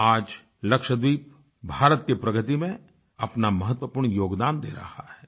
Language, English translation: Hindi, Today, Lakshadweep is contributing significantly in India's progress